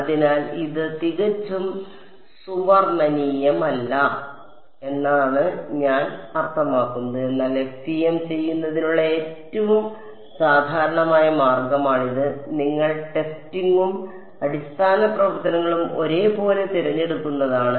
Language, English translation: Malayalam, So, that is the most I mean it is not absolutely the golden rule, but this is the by further most common way for doing FEM is you choose the testing and basis functions to be the same ok